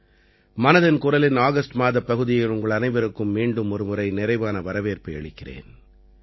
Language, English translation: Tamil, A very warm welcome to you once again in the August episode of Mann Ki Baat